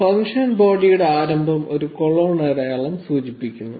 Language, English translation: Malayalam, The beginning of the function body is indicated by a colon sign